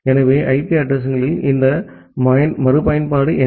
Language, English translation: Tamil, So, what is it this reusability for the IP addresses